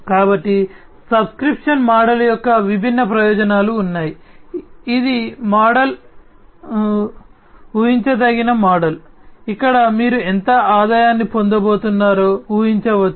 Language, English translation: Telugu, So, there are different advantages of the subscription model, it is a predictable kind of model, where you can predict how much revenue is going to be generated